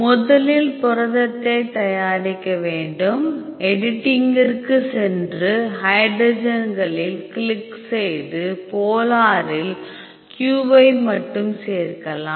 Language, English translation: Tamil, So, we have to prepare the protein first, go to edit and hydre click on hydrogens add polar only q ok